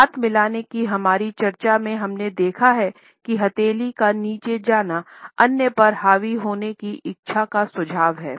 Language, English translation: Hindi, In our discussions of handshake we have seen that a thrust downward movement of the palm, suggest the desire to dominate the other